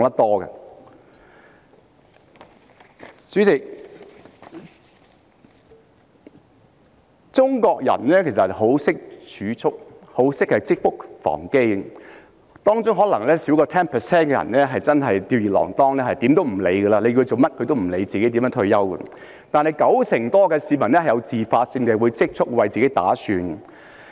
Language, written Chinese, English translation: Cantonese, 代理主席，中國人其實十分懂得儲蓄，也十分懂得積穀防飢，當中可能少於 10% 的人真的是吊兒郎當，即使叫他們做甚麼準備退休，他們也不會理會；但九成多的市民會自發性地儲蓄，為自己打算。, Deputy President the Chinese people are good at making savings . They know very well how to store up grain against a lean year and among them perhaps less than 10 % are careless and casual who would not listen even if you ask them to do something to prepare for retirement . But more than 90 % of the people would start making savings on their own and make plans for themselves